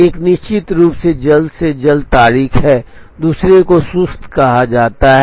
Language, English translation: Hindi, One of course, is the earliest due date, the second is called slack